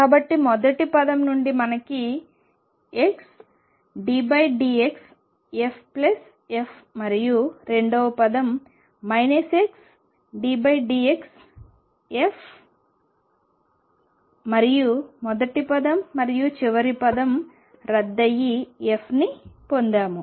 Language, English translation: Telugu, So, how do we see that from the first term we get x d f by d x plus f and second term is minus x d f by d x and the first term and the last term cancel and you get f